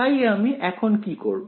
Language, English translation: Bengali, So what I am doing now